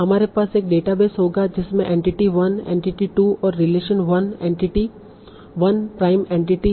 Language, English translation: Hindi, So we will have a database that will contain entity 1, entity 2 and relation 1, entity 1, entity 2 relation 2, and so on